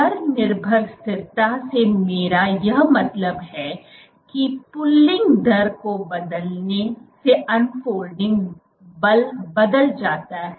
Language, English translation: Hindi, By rate dependent stability I mean that by changing the pulling rate the unfolding force changes